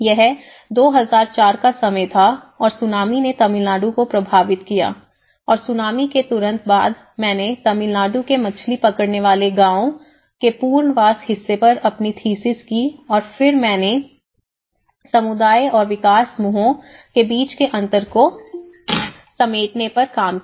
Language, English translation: Hindi, So, that was the time of 2004 and Tsunami have hit the Tamilnadu and immediately after the Tsunami, I did my thesis on the rehabilitation part of fishing villages in Tamil Nadu and then I worked on the reconciling the interaction gap between the community and the development groups